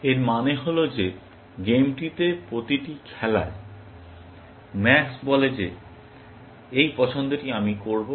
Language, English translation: Bengali, It means that every plays in the game, max says that this is the choice I will make